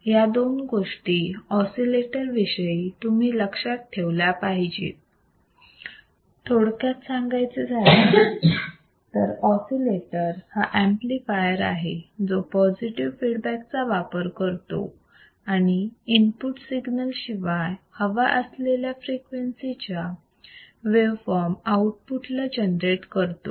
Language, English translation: Marathi, In short, an oscillator is an amplifier, which uses a positive feedback, and without an external input signal, generates an output for waveform at a desired frequency